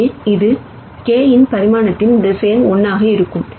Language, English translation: Tamil, So, this would be a vector of dimension k by 1